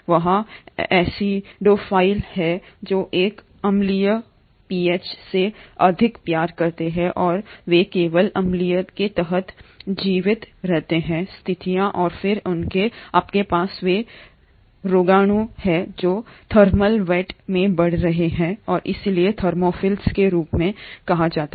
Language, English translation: Hindi, There are acidophiles, which love more of an acidic pH and they survive only under acidic conditions and then you have those microbes which are growing in thermal vents and hence are called as Thermophiles